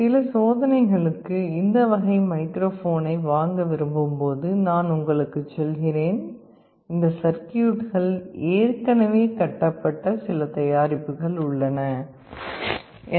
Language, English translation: Tamil, Let me also tell you when you want to buy a microphone of this type for some experiments, you will find that there are some products available that already have this circuitry built into it